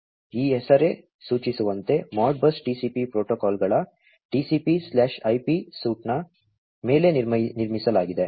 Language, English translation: Kannada, As this name suggests, ModBus TCP is built on top of TCP/IP suite of protocols